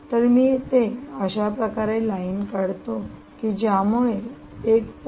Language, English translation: Marathi, so let me draw a line like this: one point seven comes here